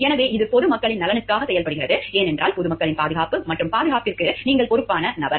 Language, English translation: Tamil, So, that it acts in the best interest of the public at large, because you are the person who are responsible for the safety and security of the public at large